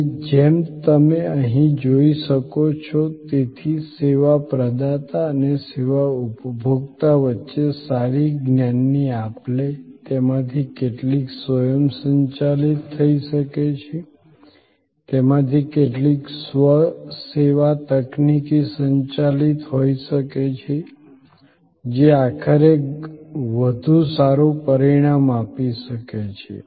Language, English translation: Gujarati, And as you can see here therefore, a good knowledge exchange between the service provider and the service consumer, some of that can be automated, some of them can be self service technology driven can create ultimately a better outcome